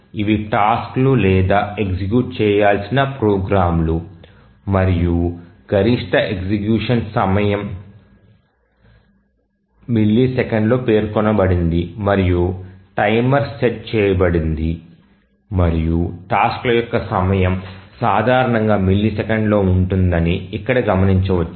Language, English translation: Telugu, These are the tasks or the programs to run and the maximum execution time is mentioned in milliseconds and the timer is set and just observe here that the tasks are typically the time is in milliseconds